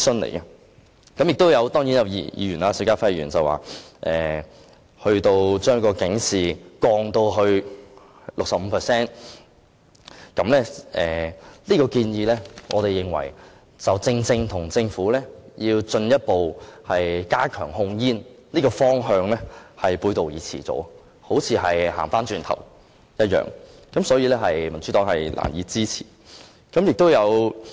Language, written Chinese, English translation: Cantonese, 邵家輝議員建議把圖像警示的面積減小至最少 65%， 我們認為他的建議正正與政府進一步加強控煙的方向背道而馳，好像走回頭路一般，所以民主黨是難以支持的。, In our opinion the proposal put forward by Mr SHIU Ka - fai to reduce the coverage of graphic warnings to at least 65 % runs counter to the Governments direction of further stepping up tobacco control as if he is backtracking . Hence the Democratic Party can hardly support Mr SHIUs proposal